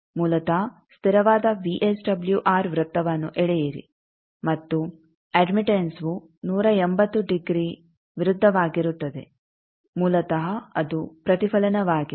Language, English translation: Kannada, Basically, draw a constant VSWR circle then and admittance will be 180 degree opposite to that an inflection